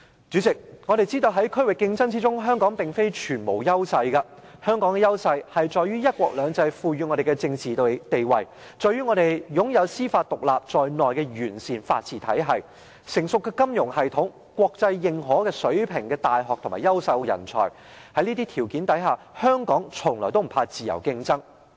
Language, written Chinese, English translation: Cantonese, 主席，我們知道在區域競爭中，香港並非全無優勢，香港的優勢在於"一國兩制"賦予我們的政治地位，在於我們擁有司法獨立在內的完善法治體系、成熟的金融系統、國際認可水平的大學和優秀的人才，在這些條件下，香港從來不怕自由競爭。, President we know that Hong Kong is not without any advantages in the regional competition . Hong Kongs advantages lie in the political status conferred upon us by one country two systems; our sound legal system which includes an independent judiciary; our mature financial system; our internationally recognized universities and brilliant talents . Possessing these conditions Hong Kong has never been shy of free competition